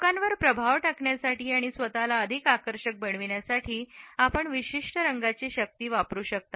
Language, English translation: Marathi, You can use the power of certain colors to influence people and make yourself more persuasive